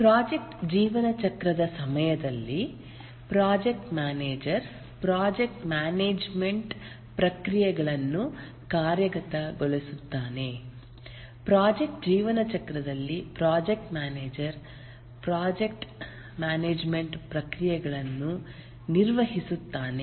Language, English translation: Kannada, During the project lifecycle, the project manager executes the project management processes